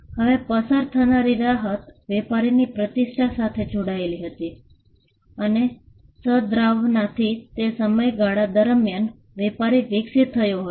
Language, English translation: Gujarati, Now, the relief of passing off was tied to the reputation that, the trader had and to the goodwill that, the trader had evolved over a period of time